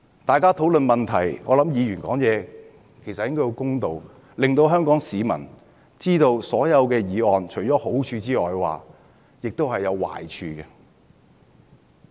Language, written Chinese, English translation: Cantonese, 大家討論問題時，議員發言應該要公道，讓香港市民知道所有議案除了好處外也有壞處。, During our discussion Members should speak fairly so as to inform Hong Kong people of the pros and cons of each proposal and I have just explained the relevant drawbacks